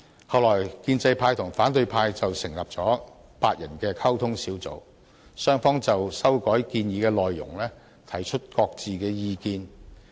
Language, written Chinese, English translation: Cantonese, 後來建制派和反對派成立了8人溝通小組，雙方就修改建議的內容提出各自的意見。, Subsequently pro - establishment Members and opposition Members formed a liaison group comprising eight Members and both sides expressed their views on the contents of the proposed amendments